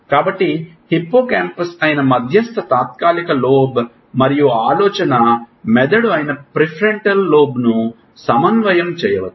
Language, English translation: Telugu, So, may coordinate medial temporal lobe which is hippocampus and the prefrontal lobe which is the thinking brain